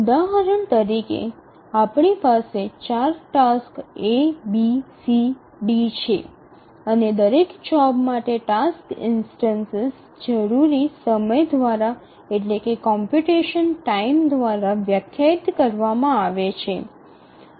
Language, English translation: Gujarati, So, we have four tasks A, B, C, D and each task, sorry, each job the task instance is defined by the computation time required